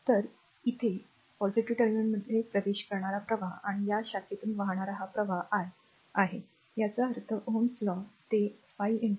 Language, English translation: Marathi, So, here current entering the positive terminal and this current flowing through this branch is i 1 ; that means, according to ohms law it will be 5 into i 1